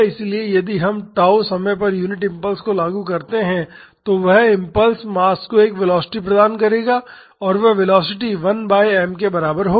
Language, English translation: Hindi, So, if we apply the unit impulse at time tau that impulse will impart a velocity to the mass and that velocity will be equal to 1 by m